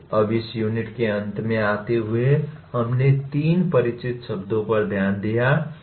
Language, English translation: Hindi, Now coming to the end of this unit, we have looked at three familiar words